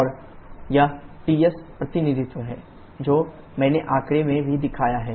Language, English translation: Hindi, And this is the Ts representation which I also shown in the figure